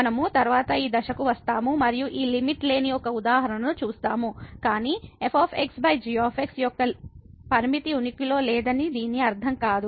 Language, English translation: Telugu, We will come to this point little later and we will see one example where this limit does not exist, but it does not mean that the limit of over does not exist